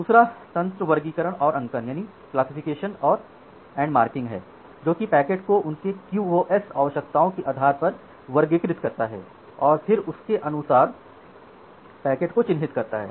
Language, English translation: Hindi, The second mechanism was classification and marking as I have mentioned that classifies the packet based on their application QoS requirements and then mark the packets accordingly